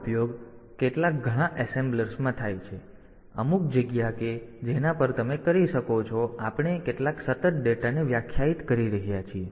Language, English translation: Gujarati, So, this is again used in some many of the assemblers as the as some space at which you can we are we are defining some constant data